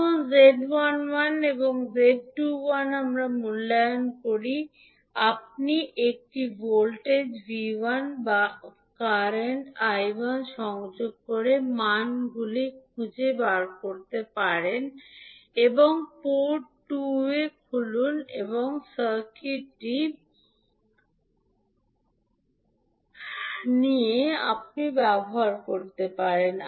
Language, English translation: Bengali, Now to evaluate Z11 and Z21 you can find the values by connecting a voltage V1 or I1 to port 1 with port 2 open circuited, then what you will do